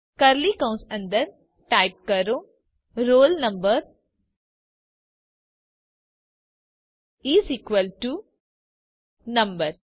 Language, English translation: Gujarati, Within curly brackets, type roll number is equal to number